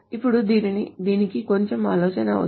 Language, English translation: Telugu, Now this requires a little bit of thought